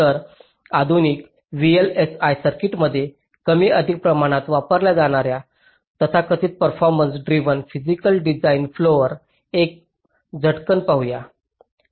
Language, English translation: Marathi, ok, so let us have a quick look at the so called performance driven physical design flow which is more or less standard practice in modern day vlsi circuits